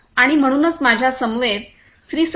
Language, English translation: Marathi, And so I have with me Mr